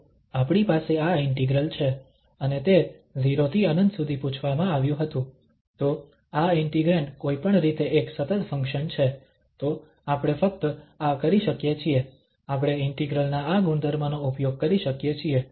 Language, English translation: Gujarati, So, we have this integral and it was 0 to infinity, so this integrand is an even function anyway, so we can just have this, we can use this property of the integral